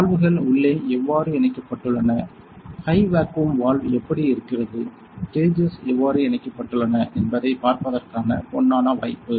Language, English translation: Tamil, So, this is the golden opportunity to see how the valves are connected inside, how is the high vacuum valve looking like, what are the how are the gauges connected